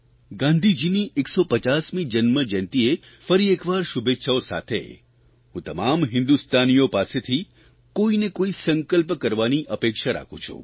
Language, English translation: Gujarati, Once again, along with greetings on Gandhiji's 150th birth anniversary, I express my expectations from every Indian, of one resolve or the other